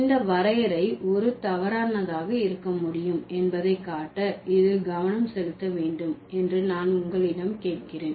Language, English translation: Tamil, May I ask you to focus on this just to show that how this definition can be a faulty one